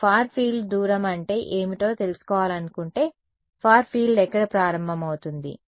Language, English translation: Telugu, If you wanted to find out what is the far field distance, where does the far field begin